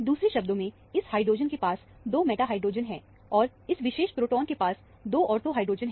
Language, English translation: Hindi, In other words, this hydrogen has 2 meta hydrogen, and this particular proton has 2 ortho hydrogen